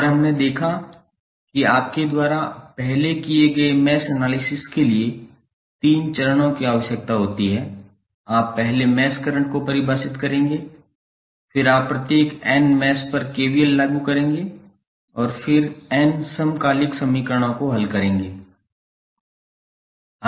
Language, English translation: Hindi, And we saw that the three steps are required for the mesh analysis we have you will first define the mesh currents then you apply KVL at each of the n mesh and then solve the n simultaneous equations